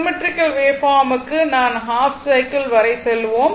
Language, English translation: Tamil, For symmetrical waveform, we will just go up to your half cycle